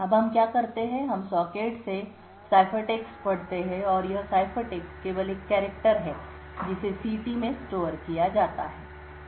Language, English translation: Hindi, Now what we do is we read the ciphertext from that socket and this ciphertext is stored is just a character which is stored in ct